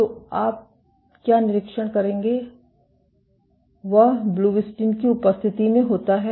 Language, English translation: Hindi, So, what you would observe is in the presence of blebbistatin